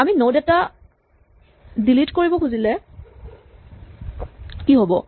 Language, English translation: Assamese, What if we want to delete a node